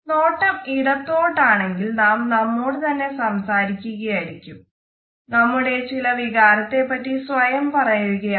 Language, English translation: Malayalam, If the gaze direction is towards a left then often we are talking to ourselves, we are telling ourselves about certain emotion etcetera